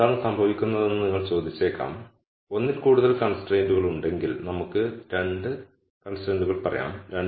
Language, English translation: Malayalam, Now, you might ask what happens, if there are there is more than one con straint there are let us say 2 constraints